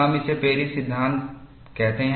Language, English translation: Hindi, We call that as the Paris law